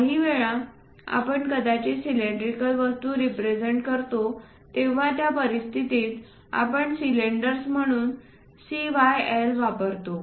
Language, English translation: Marathi, Sometimes, we might be going to represent cylindrical objects in that case we use CYL as cylinders